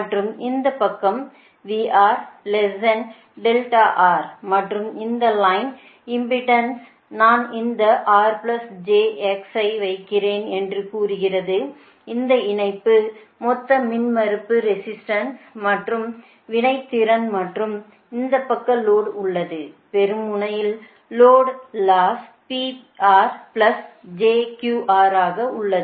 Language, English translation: Tamil, and this line impedance, say i am putting this small r, j exist, or total impedance of the line, the resistance, the reactor right, and this side load is there, load is there at the receiving end